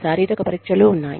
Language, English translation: Telugu, There are physical tests